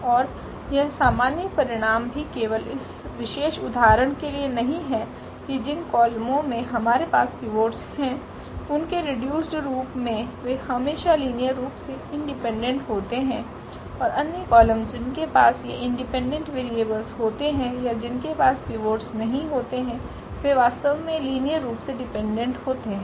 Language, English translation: Hindi, And this is the general result also not just for this particular example that the columns which we have the pivots in its reduced form they are linearly independent always and the other columns which have these free variables or where they do not have the pivots, they actually are linearly dependent